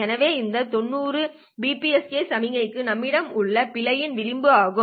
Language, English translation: Tamil, So this 90 degree is the margin of error that we have for BPSK signals